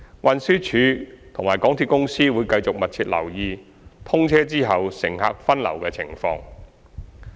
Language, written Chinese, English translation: Cantonese, 運輸署及香港鐵路有限公司會繼續密切留意通車後乘客分流的情況。, The Transport Department and the MTR Corporation Limited MTRCL will continue to closely monitor the diversion effect upon the commissioning of TML1